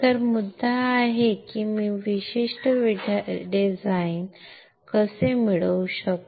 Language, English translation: Marathi, So, the point is from this, how can I obtain this particular design